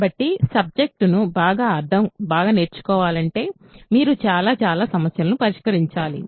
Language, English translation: Telugu, So, to learn the subject very well, you have to do lots and lots and of problems